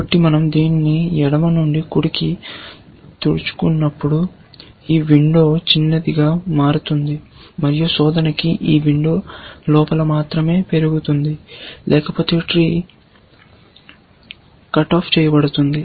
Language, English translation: Telugu, So, as we sweep this from left to right, this window gets smaller and smaller, and search progresses only inside this window; otherwise, the tree is pruned off